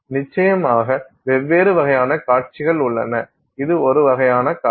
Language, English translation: Tamil, Of course there are different types of displays, this is one kind of a display